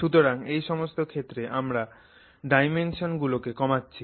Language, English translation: Bengali, So, in each of these cases we are reducing dimensions